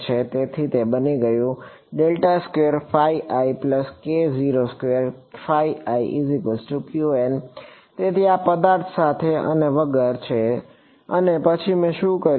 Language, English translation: Gujarati, So, this is with and without object and then what did I do